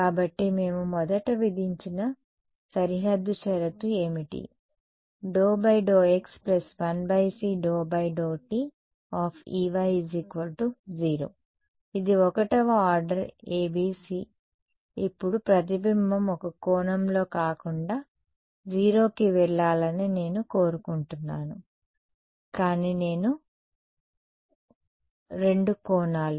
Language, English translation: Telugu, So, what was the boundary condition that we had imposed first d by dx plus 1 by c d by dt E y is equal to 0 this was 1st order ABC now supposing I say I want the reflection to go to 0 at not just one angle, but two angles